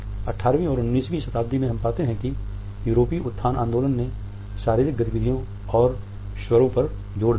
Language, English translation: Hindi, In the 18th and 19th centuries we find that the European elocution movement also emphasized on the body movements and vocalizations